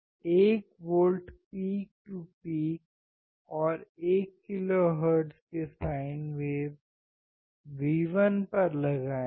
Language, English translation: Hindi, Apply 1 volt peak to peak sine wave at 1 kilohertz to V1